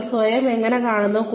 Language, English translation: Malayalam, How do you see yourself